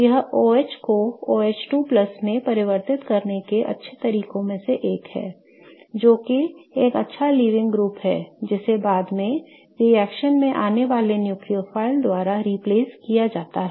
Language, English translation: Hindi, Now, this is one of the good ways to convert an OH to OH 2 plus which is a good leaving group which is then replaced by the incoming nucleophile in the reaction